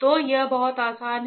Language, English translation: Hindi, So, its very easy